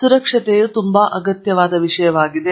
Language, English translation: Kannada, So, now, safety is something that is a very board subject